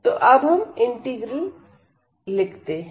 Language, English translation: Hindi, So, let us write down this integral